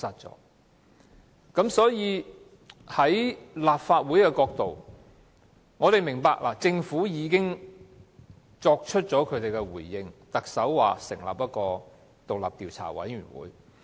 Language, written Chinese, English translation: Cantonese, 從立法會的角度，我們明白政府已經作出回應，因為特首表示會成立獨立調查委員會。, From the viewpoint of the Legislative Council we understand that the Government has responded as the Chief Executive has already undertaken to set up an independent Commission of Inquiry